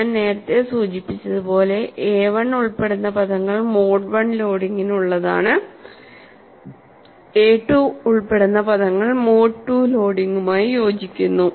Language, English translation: Malayalam, And as I mentioned earlier, the terms involving a 1 corresponds to mode 1 loading, the terms involving a 2 corresponds to mode 2 loading